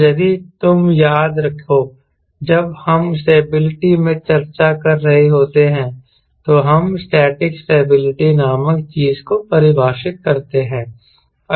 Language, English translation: Hindi, so i thought i must talk about stability and, if you recall, we, when we are discussing stability, we define something called static stability